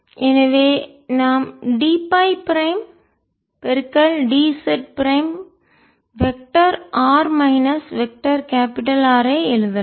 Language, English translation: Tamil, so we we can write d phi prime, d j prime, vector r minus vector capital r